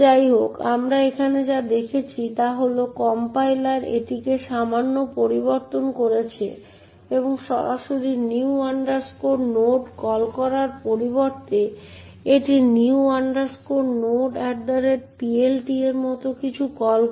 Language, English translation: Bengali, However, what we see over here is that the compiler has actually modified its slightly and instead of calling, calling new node directly it calls something like new node at PLT